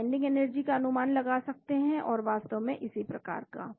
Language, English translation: Hindi, We can also estimate the binding energies and so on actually